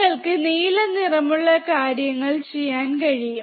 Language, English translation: Malayalam, You can see blue color thing